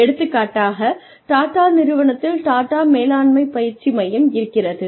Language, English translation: Tamil, For example, Tata has, Tata management training center